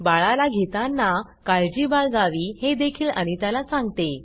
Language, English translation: Marathi, She tells Anita to be careful while carrying the baby